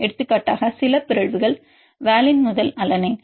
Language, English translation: Tamil, For example, some mutations for example, valine to alanine